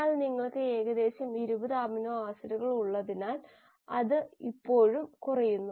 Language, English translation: Malayalam, But that is still falling short because you have about 20 amino acids